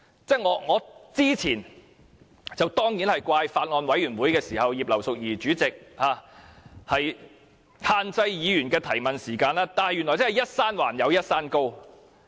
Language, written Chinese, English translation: Cantonese, 在早前的法案委員會，我當然責怪葉劉淑儀議員限制議員的提問時間，但原來"一山還有一山高"。, Earlier in the meetings of the Bills Committee I condemned Mrs Regina IP for restricting the time for Members to raise questions . However it turns out that however strong she is there is always someone stronger